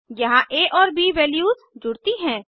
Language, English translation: Hindi, Here the values of a and b are added